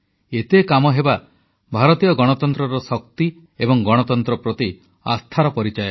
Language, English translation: Odia, So much accomplishment, in itself shows the strength of Indian democracy and the faith in democracy